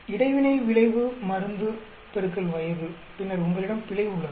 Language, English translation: Tamil, The interaction effect is drug into age, then you have error